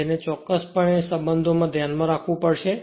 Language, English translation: Gujarati, So, these are the certain relationship you have to keep it in your mind